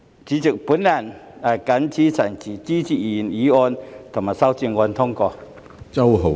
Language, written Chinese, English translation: Cantonese, 主席，我謹此陳辭，支持通過原議案及修正案。, With these remarks President I support the passage of the original motion and the amendment